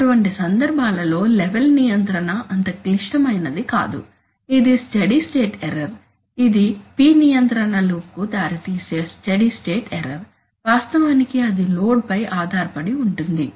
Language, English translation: Telugu, But in such cases it is often the case that the control of the level is not that critical that is the, that is a steady state error we have seen that the steady state error that results in a P control loop, actually depends on the load